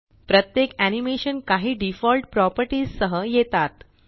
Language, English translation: Marathi, Each animation comes with certain default properties